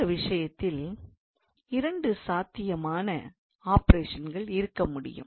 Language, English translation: Tamil, So, then in that case there can be two possible operations